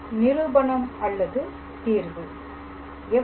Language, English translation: Tamil, So, the proof or the solution